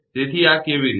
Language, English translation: Gujarati, How it is happening